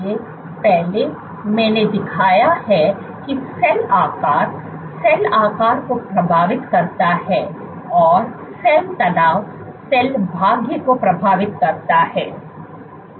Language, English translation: Hindi, So, previously I have shown that cell shape influences cell shape and cell tension influences cell fate